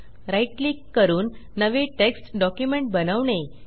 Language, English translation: Marathi, Either right click and create a new text document